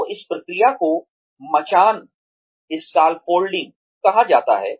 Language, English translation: Hindi, So, this process is called scaffolding